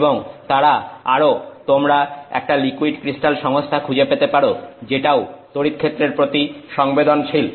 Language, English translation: Bengali, And they are also you can find a liquid crystal systems which are also you know responsive to electric fields